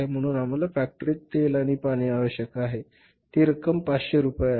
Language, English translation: Marathi, So, we require oil and water in the factory and how much that amount is 500 rupees